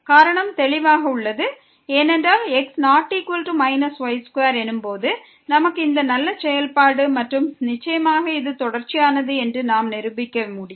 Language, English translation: Tamil, The reason is clear, because when is not equal to we have this nice function and which is certainly continuous we can prove that